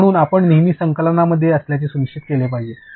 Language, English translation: Marathi, So, you should make sure that you are always in sync